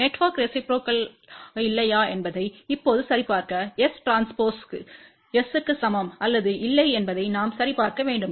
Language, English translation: Tamil, Now, to check whether the network is reciprocal or not we have to check whether S transpose is equal to S or not